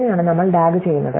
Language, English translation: Malayalam, So, this is how we do the DAG